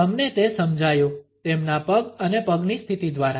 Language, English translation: Gujarati, You got it, by the position of their legs and feet